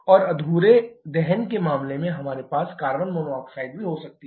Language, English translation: Hindi, And in case of incomplete combustion we can also have carbon monoxide